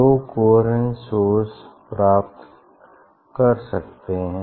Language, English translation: Hindi, two independent source; how to get two coherent source